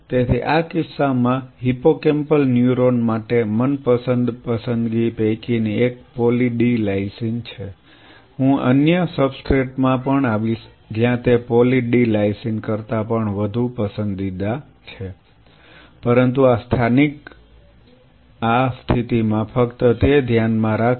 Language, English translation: Gujarati, So, in this case for hippocampal neuron one of the favorite choice is poly d lysine I will come to other substrates where it is even much more preferred than poly d lysine, but at this state just keep that in mind